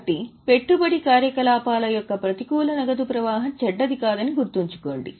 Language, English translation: Telugu, So keep in mind negative cash flow of investing activity is not bad